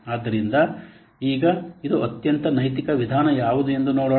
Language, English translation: Kannada, So, now let's see which is the most ethical approach